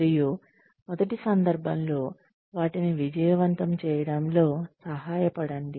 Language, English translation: Telugu, And, in the first instance, help them succeed